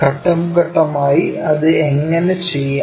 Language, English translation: Malayalam, How to do that step by step